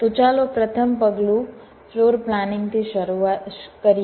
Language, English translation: Gujarati, ok, so let us start with the first steps: floorplanning